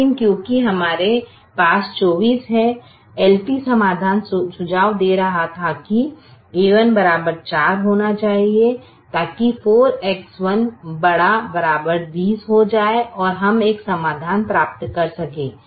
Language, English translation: Hindi, but because we are twenty four, the l p solution was suggesting that a one should be equal to four, so that four x one becomes greater than or equal to twenty, and we can get a solution